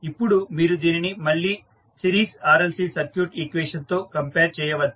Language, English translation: Telugu, Now, you will compare this again with the series RLC circuit equation